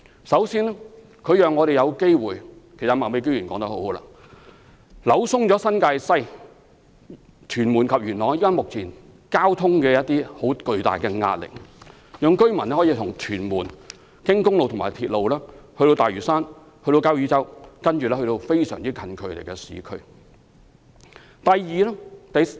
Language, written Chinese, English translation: Cantonese, 首先，交椅洲讓我們有機會——其實麥美娟議員說得很好——紓緩新界西、屯門及元朗目前的巨大交通壓力，讓居民可以由屯門經公路和鐵路到大嶼山和交椅洲，然後到鄰近的市區。, Firstly the reclamation at Kau Yi Chau gives us an opportunity―Ms Alice MAK has put it right―to ease the heavy traffic in New Territories West Tuen Mun and Yuen Long so that local residents may make use of trunk roads and railways to travel from Tuen Mun to the nearby urban areas via Lantau and Kau Yi Chau